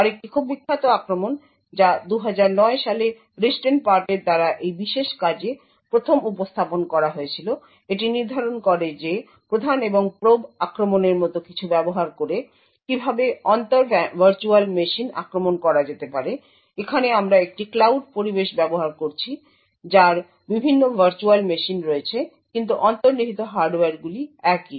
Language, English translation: Bengali, Another very famous attack which was first presented in this particular paper by Ristenpart in 2009, determines how cross virtual machine attacks can be done using something like the prime and probe attack, here we are using a cloud environment which have different virtual machines but the underlying hardware is the same